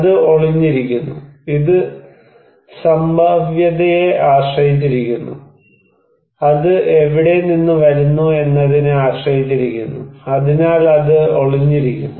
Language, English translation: Malayalam, And it is latent, it depends on probability, it also depends on from where it is coming from, so it is latent